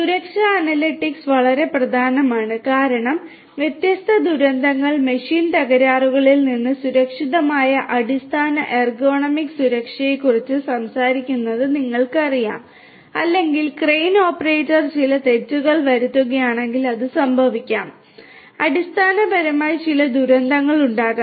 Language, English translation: Malayalam, Safety analytics is very important because you know talking about plain bare basic ergonomics safety to safety from different disasters machine failures you know or consider something like you know if the operator of a crane you know makes certain mistake what might so happen is basically there might be some disasters you know underneath